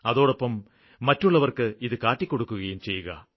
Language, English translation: Malayalam, Just don't see it, show it to others too